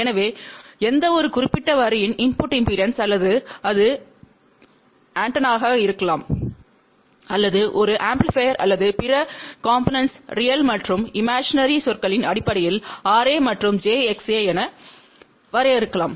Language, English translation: Tamil, So, input impedance of any particular line or it can be of an antenna or an amplifier or other components can be defined in terms of real and imaginary terms R A and j X A